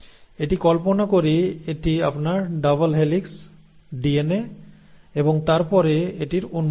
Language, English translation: Bengali, So it is like you imagine that this is your double helix DNA and then it has to open up